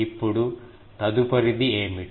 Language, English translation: Telugu, Now, what will be the next one